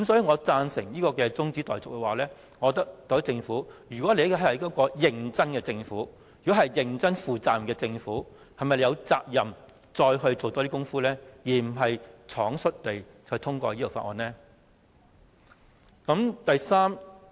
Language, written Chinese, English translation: Cantonese, 我贊成這項中止待續議案，若特區政府是一個認真而負責任的政府，是否應再多做工夫，而不是倉卒地通過《條例草案》？, I support the adjournment motion . If the HKSAR Government is serious and responsible should it make a greater effort instead of pass the Bill in haste?